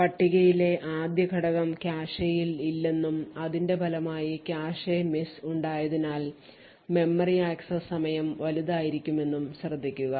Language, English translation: Malayalam, Notice that the first element in the table is not present in the cache and as a result the memory access time would be large due to the cache misses